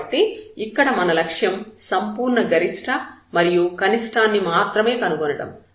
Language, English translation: Telugu, So, our aim is now to find only the absolute maximum and minimum